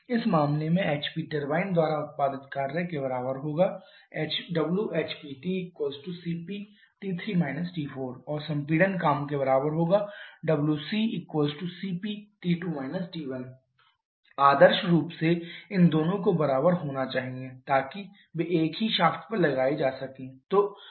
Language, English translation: Hindi, For in this case the work produced by the HP turbine will be equal to CP into T 3 T 4 and the compression work is equal to CP into T 2 T 1 ideally these 2 should be equal so that they can be mounted on the same shaft